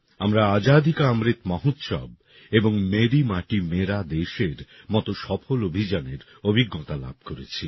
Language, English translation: Bengali, We experienced successful campaigns such as 'Azadi Ka Amrit Mahotsav' and 'Meri Mati Mera Desh'